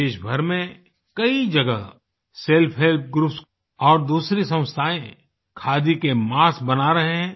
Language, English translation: Hindi, Self help groups and other such institutions are making khadi masks in many places of the country